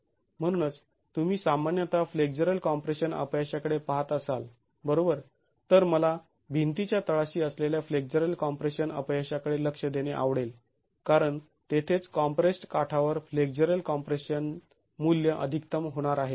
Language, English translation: Marathi, I would be interested to look at the flexual compression failure at the bottom of the wall because that is where the flexual compression value is going to be the maximum at the compressed edge